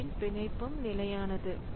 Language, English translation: Tamil, So, that binding is fixed